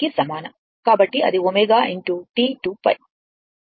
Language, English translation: Telugu, So, that is omega into T 2 pi